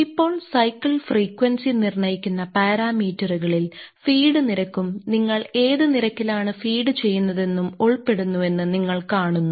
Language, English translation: Malayalam, Now, you see that parameters, which continue which determine the cycle frequency include the feed rate that is at what rate you are feeding